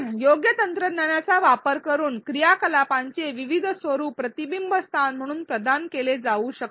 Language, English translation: Marathi, Using the appropriate technology, various formats of activities can be provided as a reflection spot